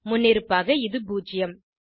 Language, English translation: Tamil, By default, it is zero